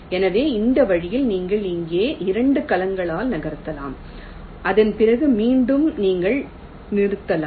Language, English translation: Tamil, so in this way you can move by two cells, here and here